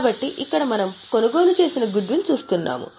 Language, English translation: Telugu, So, here we are looking at a purchase goodwill